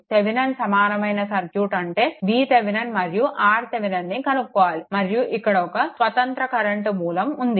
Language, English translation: Telugu, We have to find out the Thevenin equivalent circuit; that is your V Thevenin and your R Thevenin right and one independent current source is there